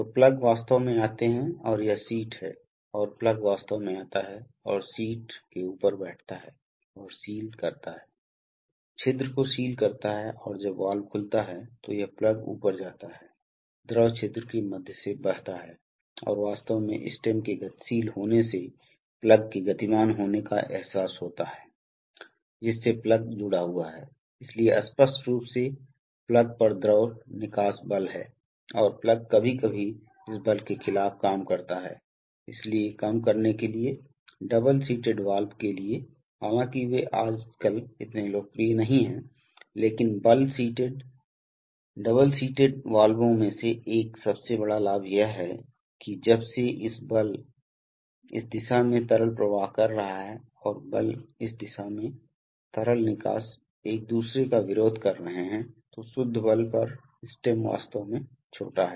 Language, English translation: Hindi, So the plugs actually come and this is the seat and the plug actually comes and sits over the seat and seals the, seals the orifice and when the valve opens, this plug goes up, so the fluid flows through the orifice and this plug movement is actually realized by moving the stem to which the plug is connected, so obviously there is the fluid exerts force on the plug and the plug sometimes is to work against this force, so to reduce, for double seated valves although they are not so popular nowadays but double seated valves, one of the biggest advantages of double seated valves is that, since the force when the liquid is flowing in this direction and the force that the liquid exerts in this direction are opposing each other, so the net force on the, on the stem is actually small